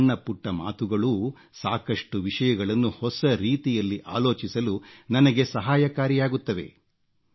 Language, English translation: Kannada, Even the smallest of your suggestions help me in thinking anew on a wide variety of subjects